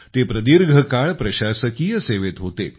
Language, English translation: Marathi, He had a long career in the administrative service